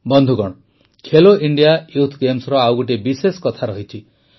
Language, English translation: Odia, Friends, there has been another special feature of Khelo India Youth Games